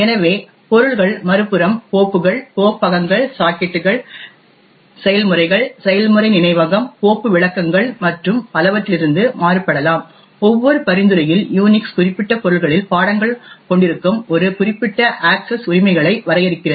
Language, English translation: Tamil, So, object on the other hand can vary from files, directories, sockets, processes, process memory, file descriptors and so on, each flavour of Unix defines a certain set of access rights that the subject has on the particular objects